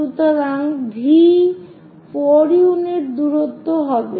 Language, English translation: Bengali, So, V will be 4 unit distance